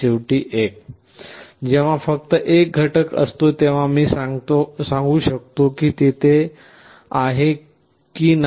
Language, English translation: Marathi, Finally, when there is only 1 element, I can tell that whether it is there or not